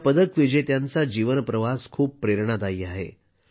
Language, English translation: Marathi, The life journey of these medal winners has been quite inspiring